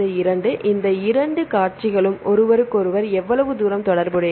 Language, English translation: Tamil, So, how far these two sequences are related with each other